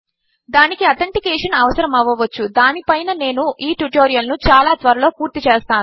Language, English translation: Telugu, It may require authentication on which I will be completing the tutorial soon